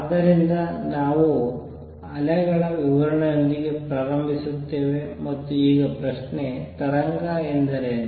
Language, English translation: Kannada, So, we start with description of waves and the question is; what is a wave